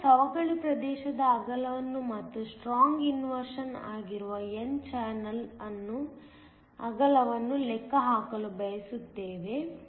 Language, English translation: Kannada, We also want to calculate the width of the depletion region, and the width of the n channel that is strong inversion